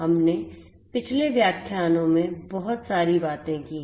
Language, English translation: Hindi, We have talked about a lot in the previous lectures